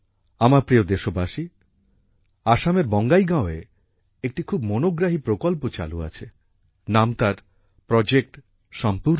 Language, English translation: Bengali, My dear countrymen, an interesting project is being run in Bongai village of Assam Project Sampoorna